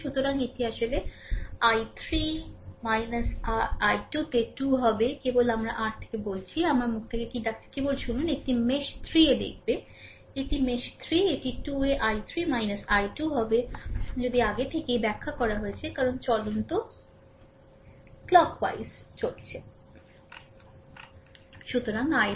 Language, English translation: Bengali, So, it will be actually 2 into i 3 minus your i 2, right, just hold on I just I am telling from my your; what you call from my mouth, just listen, it will look at the mesh 3, this is your mesh 3, right, it will be 2 into i 3 minus i 2, just if you the already I have explained because I moving clock wise